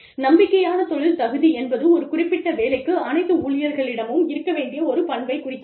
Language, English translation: Tamil, Bona fide occupational qualification, refers to a characteristic, that must be present for, in all employees, for a particular job